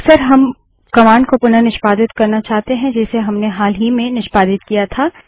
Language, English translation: Hindi, Often we want to re execute a command that we had executed in the recent past